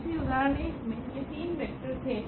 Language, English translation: Hindi, So, these were the three vectors from example 1